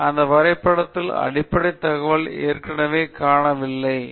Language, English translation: Tamil, So, that basic piece of information is already missing on this graph